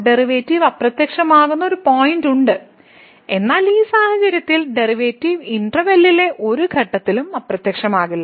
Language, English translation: Malayalam, So, there is a point where the derivative vanishes whereas, in this case the derivative does not vanish at any point in the interval